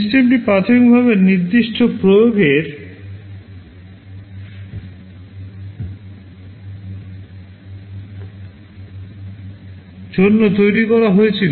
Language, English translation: Bengali, The system was initially designed for certain application